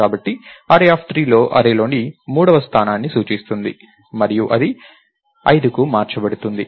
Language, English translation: Telugu, So, array of 3 will point to the third location in the array and that is changed to 5